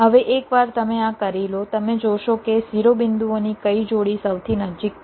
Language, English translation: Gujarati, now, once you do this, ah, ah, you see that which pair of vertices are the closest